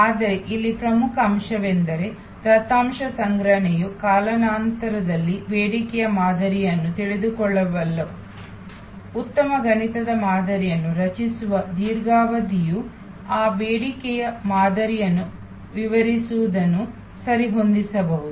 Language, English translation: Kannada, But, the key point here is that could data collection knowing the demand pattern over time, what a long period of time creating good mathematical models that to what extend those demand patterns can be adjusted